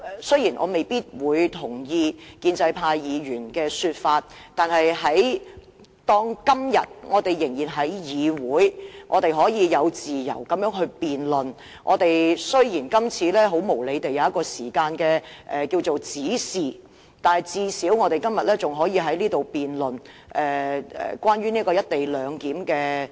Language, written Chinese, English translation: Cantonese, 雖然我未必同意建制派議員的意見，但當我們今天仍能在議會這樣自由辯論......雖然今次無理地設有時限，但最少我們今天仍可在此辯論《廣深港高鐵條例草案》。, Although I may not share the views of the pro - establishment Members when we can still debate freely in the Council today it is unreasonable for this debate to have a time limit but at the very least we are allowed to have a debate on the Guangzhou - Shenzhen - Hong Kong Express Rail Link Co - location Bill the Bill today